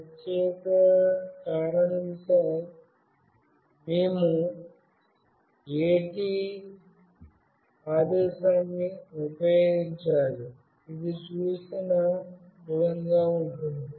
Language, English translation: Telugu, For that particular reason, we need to use an AT command, which goes like as shown